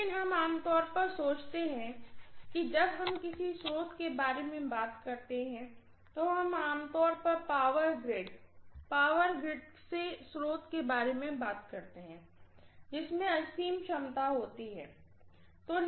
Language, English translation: Hindi, But we normally think that when we talk about a source, we talk about normally the power grid, the source from the power grid, which have infinite capacity